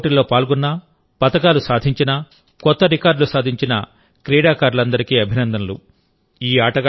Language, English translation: Telugu, I congratulate all the players, who won medals, made new records, participated in this sports competition